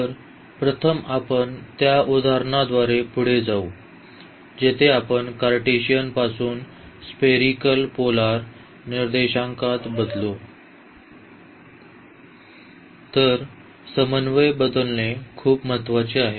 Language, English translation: Marathi, So, first you will go through the example where we change from Cartesian to spherical polar coordinates; so a very important the change of coordinates